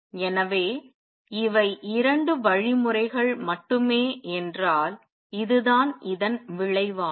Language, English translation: Tamil, So, this is the result if these are the only 2 mechanisms